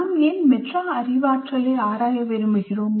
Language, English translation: Tamil, Now, let us look at metacognitive knowledge